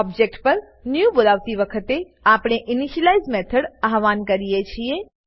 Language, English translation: Gujarati, On calling new on an object, we invoke the initialize method